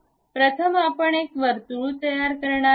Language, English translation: Marathi, First a circle we are going to construct